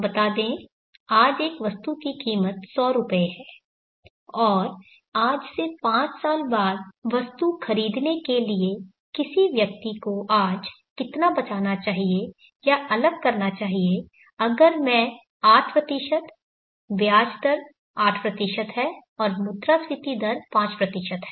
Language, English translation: Hindi, Let me take a simple example let us say an item costs through this 100 today, and in order to buy the item five years from today how much should one sale or set aside today if I is 8% interest rate is 8 percent and inflation rate is 5%